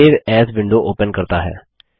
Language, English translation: Hindi, This opens a Save As window